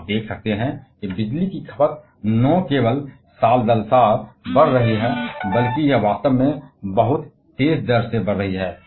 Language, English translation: Hindi, You can see here the electricity consumption is not only increasing year by year, but it is actually escalating at a very, very fast rate